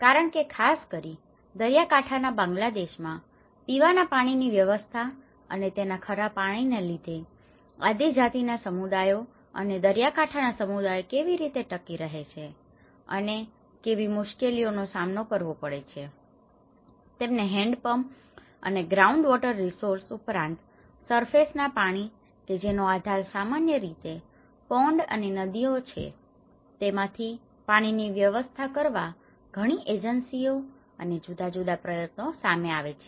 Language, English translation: Gujarati, Because especially, in the coastal Bangladesh, the provision of drinking water because of its saline content and how various tribal communities and the coastal communities survive and what are the difficulties they face, so that is where many of the agencies and also different efforts have been kept forward in order to provide them the hand pumps, groundwater resources and as well as some kind of they rely on the surface water which is basically on the pond or river water resources